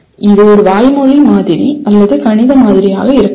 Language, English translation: Tamil, It could be a verbal model or a mathematical model